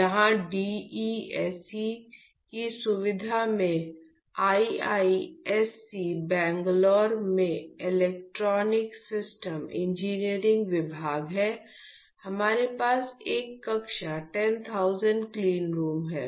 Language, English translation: Hindi, So, when we what we have here in the facility in DESE the Department of Electronic Systems Engineering in IISC Bangalore is, we have a class 10000 cleanroom